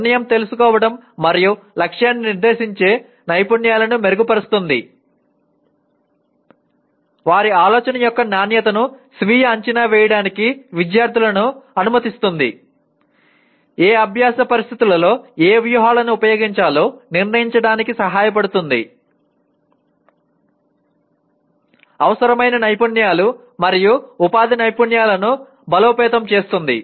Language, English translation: Telugu, Improves decision making and goal setting skills; Enables students to self assess the quality of their thinking; Helps to decide which strategies to use in which learning situations; Strengthens essential skills and employability skills